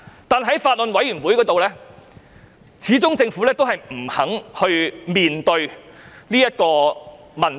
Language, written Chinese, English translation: Cantonese, 但是，在法案委員會，政府始終不肯面對這個問題。, However the Government has failed to face up to this issue at the Bills Committee